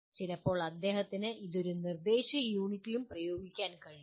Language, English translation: Malayalam, Sometimes he can also apply it to an instructional unit